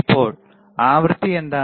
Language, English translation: Malayalam, Now, what is the frequency